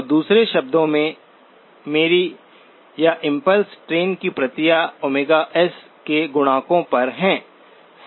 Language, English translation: Hindi, So in other words my copies of the or the impulse train are at multiples of omega S